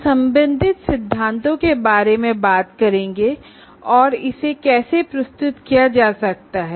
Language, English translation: Hindi, We'll talk about the related theory and how it can be presented